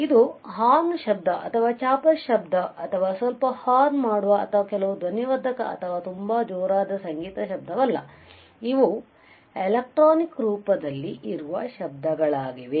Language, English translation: Kannada, So, this is not some noise which is horn noise or which is a chopper noise or which is some honking right or which is some loudspeaker or very loud music, but these are the noises which are present in the electronic form